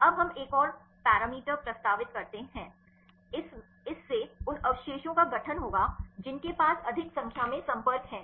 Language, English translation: Hindi, Now we propose one more parameter, this will constitute the residues which have more number of contacts